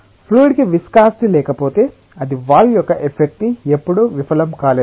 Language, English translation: Telugu, if the fluid has no viscosity, perhaps it would have never felled the effect of the wall